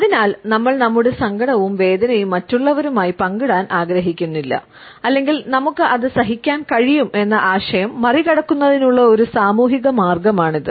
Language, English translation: Malayalam, So, this is a social way of passing across this idea that we do not want to share, our sorrow and our pain with others or we are able to put up with it